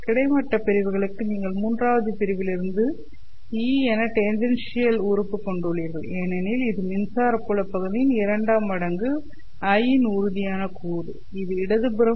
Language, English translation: Tamil, For the horizontal segment, you have the contribution from the third segment as ET2 because it is this tangential component of the electric field in region 2 times L